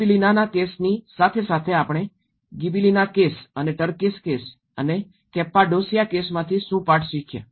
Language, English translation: Gujarati, Along with the Gibellinaís case, what the lessons we have learned from Gibellina case and the Turkish case, Cappadocia case